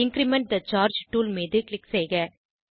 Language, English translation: Tamil, Click on Increment the charge tool